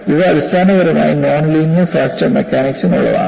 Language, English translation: Malayalam, These are essentially meant for non linear fracture mechanics